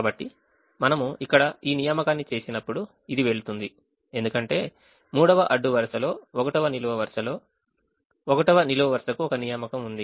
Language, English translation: Telugu, so when we make this assignment here, automatically this will go because by making an assignment in the third row, first column, the first column has an assignment